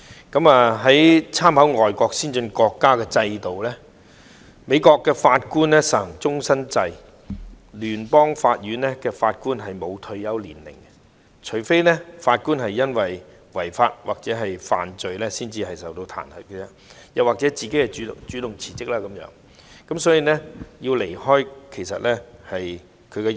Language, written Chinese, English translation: Cantonese, 觀乎外國先進國家制度，美國法官實行終身制，聯邦法院法官不設退休年齡，除非法官因違法或犯罪受到彈劾，又或法官主動辭職才會離任。, Considering the systems of advanced foreign countries the judges in the United States serve for life and the Federal Court Judges do not have a retirement age . Judges will only leave office if they are impeached for illegal or criminal acts or they resign on their own initiative